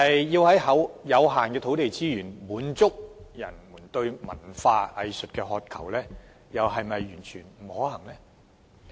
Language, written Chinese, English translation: Cantonese, 然而，即使土地資源有限，但要滿足人們對於文化藝術的渴求，又是否真的完全不可行？, Yet is it really utterly impossible to satiate peoples thirst for culture and arts regardless of the limited land resources?